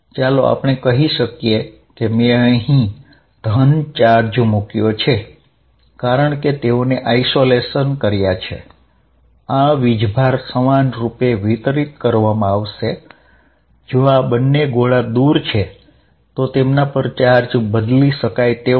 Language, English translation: Gujarati, Let us say I put positive charge here, since they are spheres in isolation these charges you are going to be all uniformly distributed, if these two sphere is far away, necessarily charge on them is movable